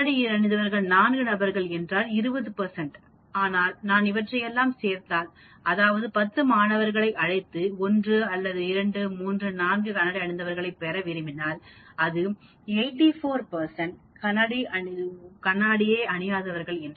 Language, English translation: Tamil, 4 persons wearing glasses is 20 percent but if I add up all these, that means, if I take 10 students out of this lot, students wearing 1 or 2 or 3 or 4 person wearing glasses will be so many percent, 84 percent or 0 glasses